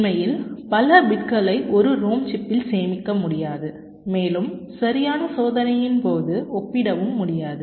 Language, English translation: Tamil, so you really cannot store so many bits () in rom on chip and compare during testing, right